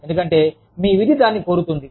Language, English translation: Telugu, Because, your duty demands it